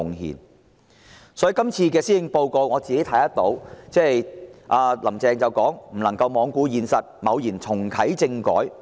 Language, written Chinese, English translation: Cantonese, 然而，"林鄭"在今年的施政報告中強調，"不能罔顧現實，貿然重啟政改"。, However in this years Policy Address Carrie LAM stressed that she cannot ignore the reality and rashly embark on political reform